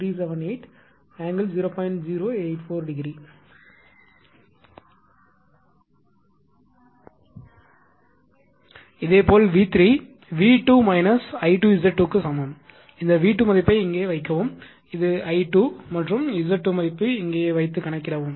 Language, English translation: Tamil, Similarly V 3 is equal to V 2 minus I 2 Z 2 put this V 2 value here and this I 2 and Z 2 value here right and calculate